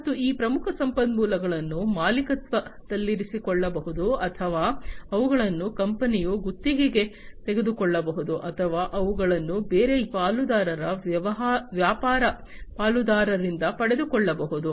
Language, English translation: Kannada, And these key resources can be owned or they can be leased by the company or they can they can be even acquired from different partner’s business partners